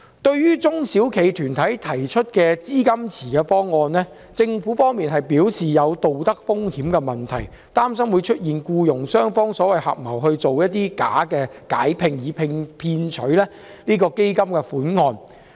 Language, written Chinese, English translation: Cantonese, 對於中小企團體提出資金池的方案，政府表示存在道德風險的問題，擔心僱傭雙方有可能合謀假解聘以騙取基金款項。, In response to the proposal for creation of a fund pool put forward by SME organizations the Government said that it would incur the risk of moral hazard and expressed concern about employers and employees conspiring to make fake dismissals in a bid to cheat money out of the fund pool